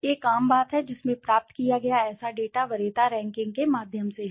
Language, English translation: Hindi, A common being in which such data obtained is through preference rankings